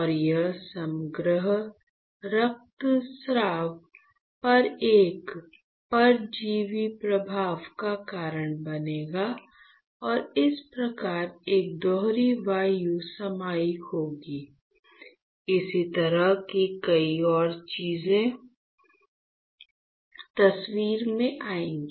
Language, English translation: Hindi, And that will cause a parasitic effect on the overall bleedings and thus there will be a double air capacitance and many more such kind of things that will come into the picture